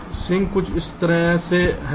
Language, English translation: Hindi, sink is something like this